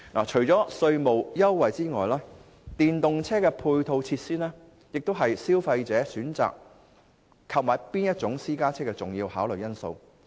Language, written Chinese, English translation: Cantonese, 除了稅務優惠外，電動車配套措施也是消費者選購私家車的重要考慮因素。, On top of tax concession the provision of ancillary facilities for electric vehicles is another major factor behind consumers decision on private car purchase